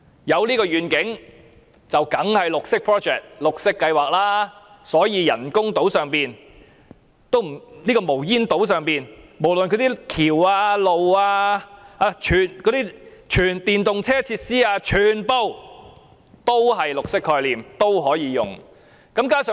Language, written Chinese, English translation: Cantonese, "有這個願景，當然是綠色 project 了，所以人工島這個無煙島上的橋、道路或全電動車等設施全部也有綠色概念，全部也可以利用綠色債券。, Consequently all such facilities as bridges roads full - electric vehicles etc . on the smokeless artificial islands will carry a green concept . All of them can make use of green bonds